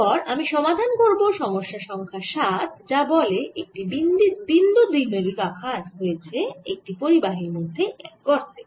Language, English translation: Bengali, next i am going to solve problem number seven, which says there is a point dipole which is put inside a cavity in a conductor